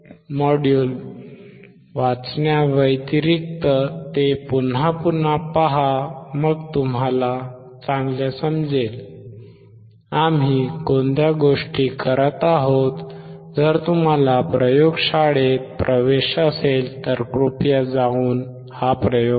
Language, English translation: Marathi, Other than reading look at the module see again and again then you will understand, what are the things that we are performing, if you have access to the laboratory, please go and perform this experiment